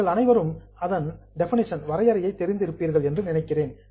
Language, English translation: Tamil, I think you all know the definition